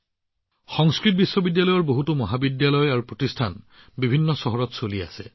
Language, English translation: Assamese, Many colleges and institutes of Sanskrit universities are also being run in different cities